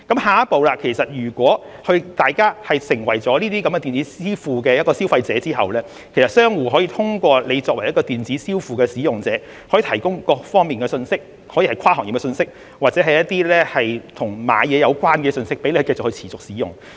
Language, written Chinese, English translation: Cantonese, 下一步，如果大家成為了使用電子支付的消費者，商戶便可以通過電子支付平台向使用者提供各方面的信息，可以是跨行業信息，或是與購物有關的信息，讓大家可以持續使用。, Next when people become consumers who use electronic payment merchants can provide such users with various kinds of information through the electronic payment platforms be it cross - sector information or shopping - related information for peoples continual use